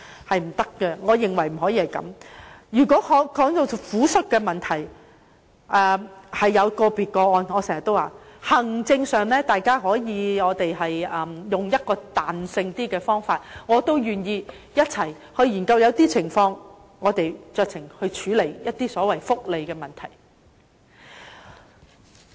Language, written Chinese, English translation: Cantonese, 談到撫恤的問題，正如我經常說，可能會有個別的個案，我們可在行政上以比較彈性的方法處理，我也願意一同研究，看看在某些情況下能否酌情處理福利問題。, On the point about compassionate grounds as I often said there may be individual cases and we can deal with them using a more flexible approach administratively . I would be glad to conduct studies together so as to ascertain whether it is possible to exercise discretion in handling the welfare issues under certain circumstances